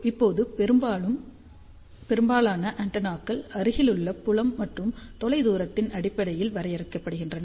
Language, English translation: Tamil, Now, most of the time antennas are defined in terms of near field and far field